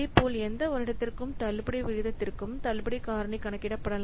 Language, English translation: Tamil, So, similarly, the discount factor can be computed for any given year on discount rate